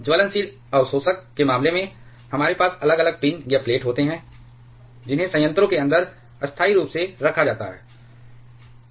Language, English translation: Hindi, In case of burnable absorbers, we have separate pins or plates which are placed permanently inside the reactors